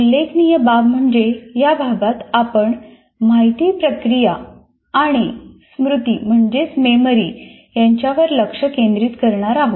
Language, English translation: Marathi, Particularly in this unit, we will be focusing on information processing and memory